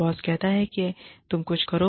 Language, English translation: Hindi, Boss says, you do something